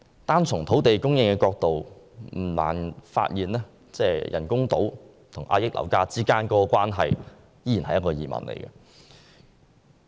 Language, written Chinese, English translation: Cantonese, 單從土地供應的角度來看，不難發現人工島與遏抑樓價之間的關係依然是一個疑問。, From the perspective of land supply alone I am still doubtful if there is a direct relationship between the construction of artificial islands and the suppression of property prices